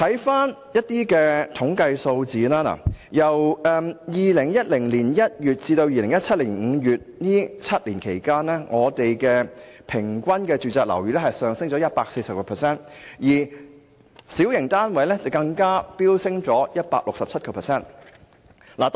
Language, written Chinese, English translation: Cantonese, 翻看相關統計數字，在2010年1月至2017年5月這7年間，香港的住宇物業價格平均上升了 140%， 小型單位的樓價更飆升 167%。, Let us review the relevant statistics . In the seven years from January 2010 to May 2017 residential property prices in Hong Kong rose by 140 % on average and prices of small flats even soared 167 %